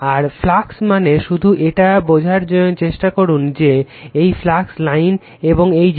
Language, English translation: Bengali, And flux means just try to understand that your flux line and this thing right